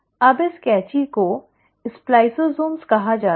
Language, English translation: Hindi, Now this scissors are called as “spliceosomes”